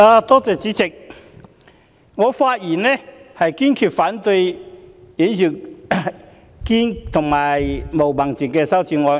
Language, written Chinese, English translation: Cantonese, 代理主席，我發言堅決反對尹兆堅議員的議案及毛孟靜議員的修正案。, Deputy President I speak in resolute opposition to Mr Andrew WANs motion and Ms Claudia MOs amendment